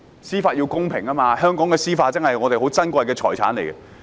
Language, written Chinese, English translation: Cantonese, 司法要公平，香港的司法是我們珍貴的財產。, We must uphold judicial impartiality and the judiciary of Hong Kong is our valuable asset